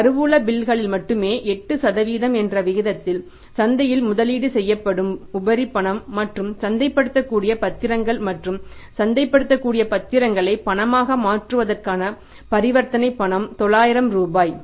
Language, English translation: Tamil, If there is a surplus cash that is invested in the market at the rate of 8% only in the treasury bills and the transaction cost of converting cash into marketable securities and marketable securities into cash is 900 rupees